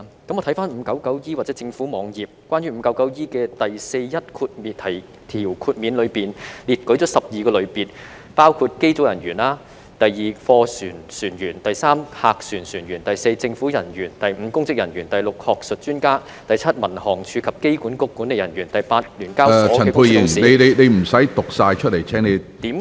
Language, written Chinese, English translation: Cantonese, 我回看第 599E 章或政府網頁，關於第 599E 章的第41條下的豁免，當中列舉出12個類別，包括機組人員；第二，貨船船員；第三，客船船員；第四，政府人員；第五，公職人員；第六，學術專家；第七，民航處及機管局管理人員；第八，於聯交所上市公司的董事......, 599E or the Governments website . Regarding the exemptions under section 4 1 of Cap . 599E 12 categories have been listed including crew members of aircraft; 2 crew members of goods vessels; 3 crew members of passenger ships; 4 government officials; 5 public officers; 6 academic experts; 7 management of the Civil Aviation Department and management of the Airport Authority Hong Kong; 8 directors of the companies listed on Stock Exchange of Hong Kong